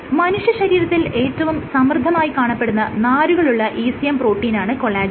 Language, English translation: Malayalam, Collagen is the fibrous ECM protein it is the most abundant protein within the human body